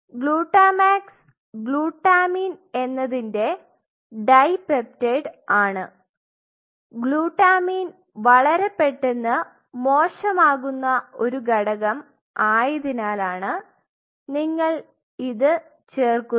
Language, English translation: Malayalam, Glutamax is nothing it is basically a dipeptide of glutamine you needed to add glutamine because this is one component which goes bad very fast